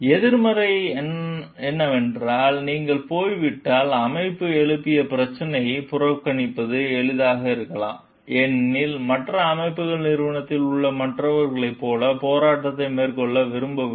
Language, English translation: Tamil, The negatives are like the if you see like once you are gone, it may be easier for the organization to ignore the issues raised, as others organizations may be unwilling to carry on the fight as others in the organization